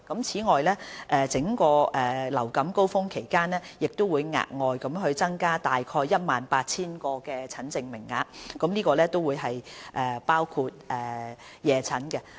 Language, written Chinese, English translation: Cantonese, 此外，在整個流感高峰期亦會額外增加大概 18,000 個診症名額，當中包括夜診。, On top of this during an influenza peak they will provide yet another 18 000 consultation places some of which are for evening consultation